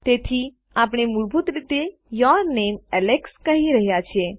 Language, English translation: Gujarati, So, were basically saying your name Alex